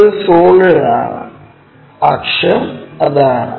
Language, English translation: Malayalam, It is a solid object, axis is that